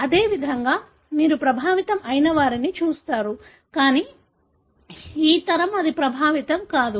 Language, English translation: Telugu, Likewise you see an affected, but this generation it is not affected